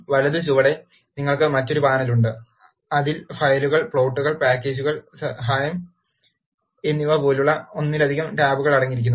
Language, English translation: Malayalam, The right bottom, you have another panel, which contains multiple tab, such as files, plots, packages and help